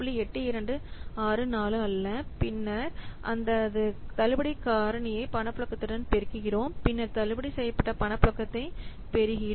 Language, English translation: Tamil, 8264 unlike that and then we multiply this discount factor with the cash flow then we get the discounted cash flow